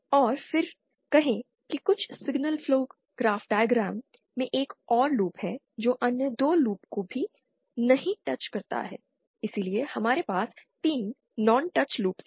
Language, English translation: Hindi, And then say there is another loop in some signal flow graphs diagram which also does not the other 2, so we have 3 non touching loops